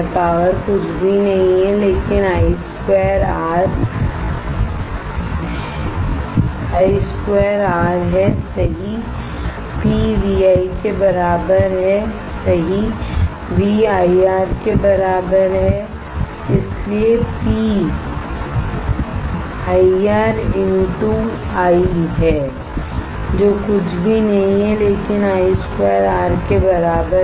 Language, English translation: Hindi, Power is nothing but I square R right P equals to VI right V equal to IR that is therefore, P equals to IR into I which is nothing but I square R right